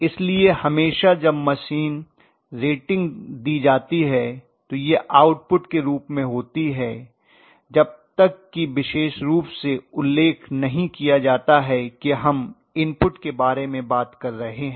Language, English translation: Hindi, So always when the machine rating is given it is given in the form of output unless mentioned specifically that we are talking about input, unless mentioned specifically